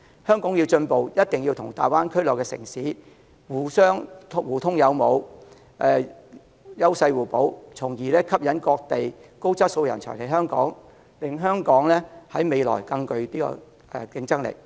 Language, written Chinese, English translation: Cantonese, 香港要進步，一定要與大灣區內城市互通有無，優勢互補，從而吸引各地高質素人才來港，令香港的未來更具競爭力。, We also have a global vision and advanced technologies . In order for Hong Kong to advance forward we must leverage with the edges of the Greater Bay Area cities to complement each other and in turn attract high quality talents from various places to Hong Kong to enhance our competitiveness in the future